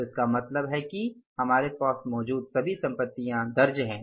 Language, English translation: Hindi, So, it means all the assets almost we have accounted for